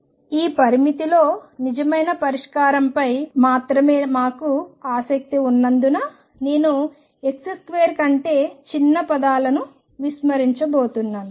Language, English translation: Telugu, Since we are only interested in the solution which is true in this limit, I am going to ignore any terms that are smaller than x square